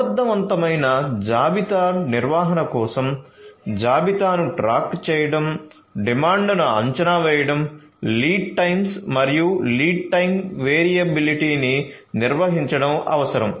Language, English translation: Telugu, So, for effective inventory management it is required to keep track of the inventory, to forecast the demand, to manage the lead times and the lead time variability